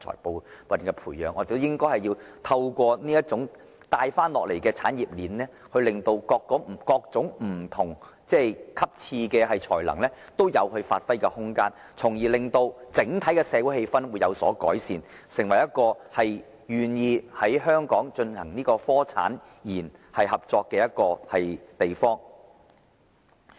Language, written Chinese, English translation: Cantonese, 我們應透過由上而下的產業鏈，令各種不同層次的人才均有發揮空間，從而令整體社會氣氛有所改善，使香港成為適合進行產學研合作的地方。, We should instead establish a top - down industrial chain for talents at different levels to give full play to their strengths so as to improve the overall social atmosphere thereby making Hong Kong an ideal place for the cooperation among the industry academia and the research sector